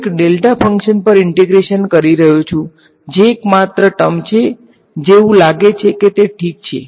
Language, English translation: Gujarati, I am integrating over a delta function that is the only term that seems to be that it might simplify ok